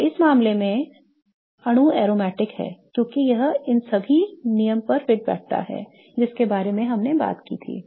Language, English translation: Hindi, So, in this case the molecule is aromatic because it fits all the three rules that we talked about